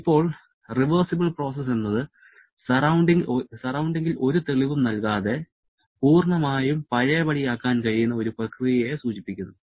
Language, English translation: Malayalam, Now, the reversible process refers to a process that can completely be reversed without leaving any trace of proof on the surrounding